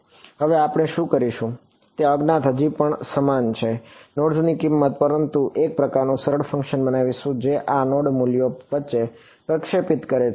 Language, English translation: Gujarati, Now what we will do is, those unknowns are still the same, the value of the nodes, but we will create a kind of a smooth function that take that interpolates between these node values